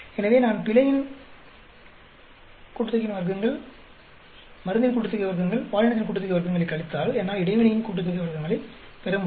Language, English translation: Tamil, So, if I subtract error sum of squares, drug sum of squares, gender sum of squares, I should be able to get the interaction sum of squares